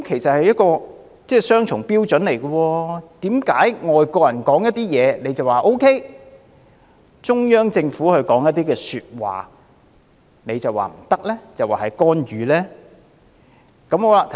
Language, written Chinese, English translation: Cantonese, 這是雙重標準，為何外國人說話，他們就說 OK 沒問題，但中央政府說一些說話，他們卻說不可以，指這是干預呢？, This is double standard . Why did they say it is OK and no problem for foreigners to make comments but when the Central Government said something they said it is unacceptable and criticized it as intervention?